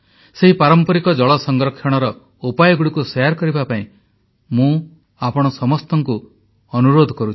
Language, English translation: Odia, I urge all of you to share these traditional methods of water conservation